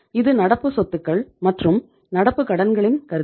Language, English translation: Tamil, So it means we have the current assets and we have the current liabilities